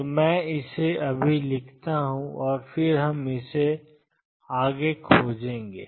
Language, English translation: Hindi, So, let me just write it and then we will explore it further